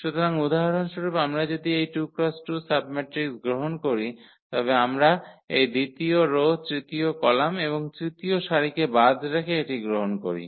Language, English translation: Bengali, So, if we take any this 2 by 2 submatrix for example, we take this one by leaving this second row third column and the third row